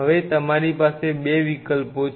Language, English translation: Gujarati, Now you are options are two